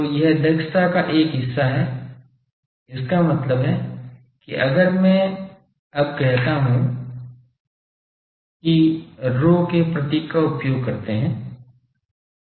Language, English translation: Hindi, So, this is one part of the efficiency; that means if I now say that sorry this let us then use the symbol rho